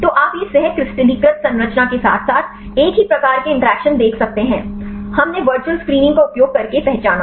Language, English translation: Hindi, So, you can see similar type of interactions with the co crystallize structure as well as the one, we identified using virtual screening